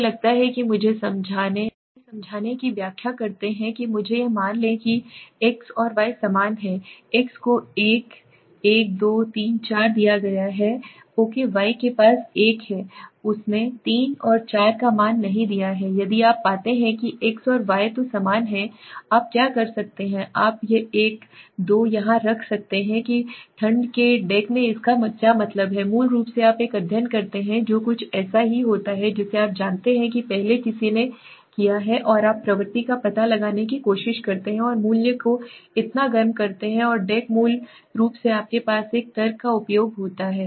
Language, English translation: Hindi, That suppose let me explain let me explain this suppose x and y are similar x is given 1, 1, 2, 3, 4 okay y has 1, 1 he has not given a value 3 and 4 so if you find x and y are highly similar so then what you can do is you can place a 2 here that is what it means in cold deck what did means is basically you take a study which is similar to something you know earlier somebody has done and you try to find out trend and place a value so hot and deck is basically you have use a logic and find out right